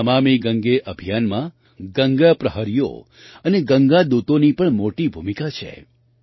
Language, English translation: Gujarati, In the 'NamamiGange' campaign, Ganga Praharis and Ganga Doots also have a big role to play